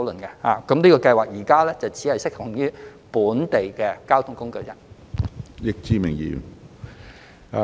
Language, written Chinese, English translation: Cantonese, 現時二元優惠計劃只適用於本地公共交通工具。, The existing 2 Scheme is only applicable to local public transport